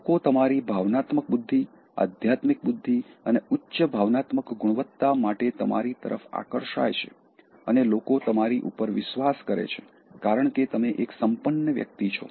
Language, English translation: Gujarati, People gravitate towards you for your emotional intelligence and spiritual intelligence and high emotional quotient and people can bank on you, because, you become a resourceful person